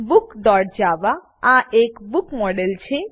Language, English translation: Gujarati, Book.java is a book model